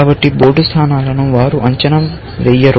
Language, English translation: Telugu, So, they do not evaluate this board position at all